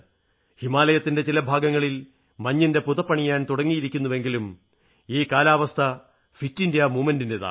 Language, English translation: Malayalam, Parts of the Himalaya have begun to don sheets of snow, but this is the season of the 'fit India movement' too